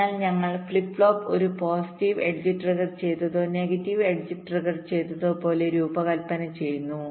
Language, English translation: Malayalam, so we design the flip flop like a positive edge triggered or a negative edge triggered